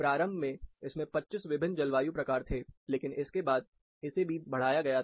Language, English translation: Hindi, Initially, it had 25 different climate types, but following that, it was also extended